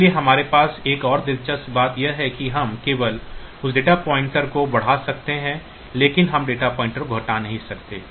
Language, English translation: Hindi, So, the only another interesting thing that we have is that we can only increment that data pointer we cannot decrement the data pointer